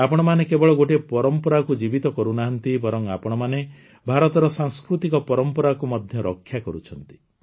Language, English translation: Odia, You are not only keeping alive a tradition, but are also protecting the cultural heritage of India